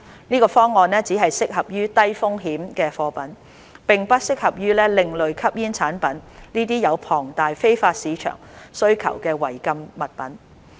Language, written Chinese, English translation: Cantonese, 這方案只適合於低風險貨品，並不適合用於另類吸煙產品這些有龐大非法市場需求的違禁物品。, This scheme is suitable only for low - risk goods but not such prohibited articles as ASPs with massive demands in the illegal market